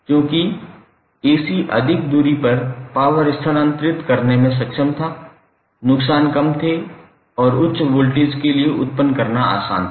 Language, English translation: Hindi, Because AC was able to transfer the power at a longer distance, losses were less and it was easier to generate for a higher voltage